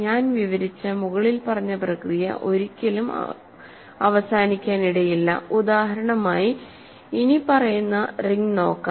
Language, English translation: Malayalam, So, the above process I described may never stop as an example let us look at the following ring